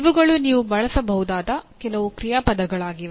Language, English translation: Kannada, These are some of the action verbs that you can use